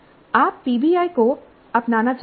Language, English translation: Hindi, You want to adopt PBI